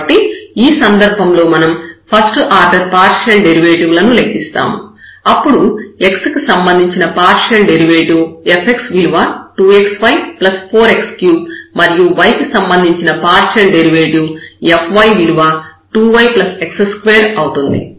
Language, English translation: Telugu, So, in this case we will again compute the first order partial derivative which is f x is equal to here 2 xy and 4 x cube, will come and then we have the partial derivative with respect to y